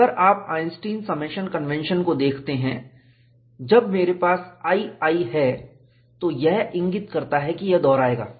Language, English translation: Hindi, If you look at the Einstein summation convention, when I have i i, this indicates, that this would repeat